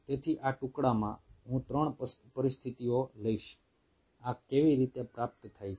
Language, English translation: Gujarati, so in this fragment i will take three situations: how this is being achieved